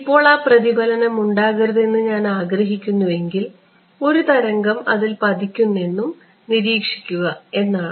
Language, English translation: Malayalam, Now, if I wanted to not have that reflection one wave would be to observe whatever falls on it